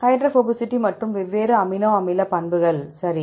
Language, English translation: Tamil, Hydrophobicity and different amino acids properties right